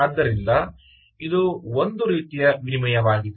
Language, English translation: Kannada, so what are the type of exchanges